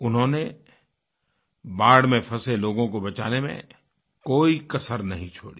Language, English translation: Hindi, They have left no stone unturned as saviors of those trapped in the floods